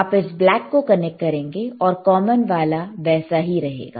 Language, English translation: Hindi, You connect it to black, and common is same,